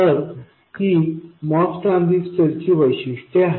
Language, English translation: Marathi, So, this is the true characteristics of the MOS transistor